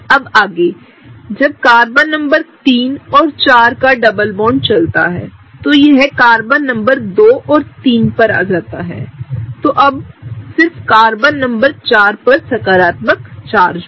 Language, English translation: Hindi, Where as in the next case, when this moves, the Carbon number 3, 4 double bond when it moves to Carbon number 2 and 3 that Carbon, Carbon number 4 is going to get a positive charge